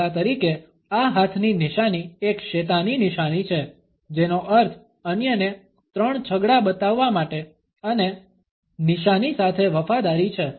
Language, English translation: Gujarati, For instance this hand sign is a satanic sign meaning 666 to show others and allegiance with sign